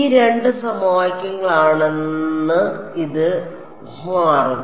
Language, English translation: Malayalam, It will turn out that two of these equations are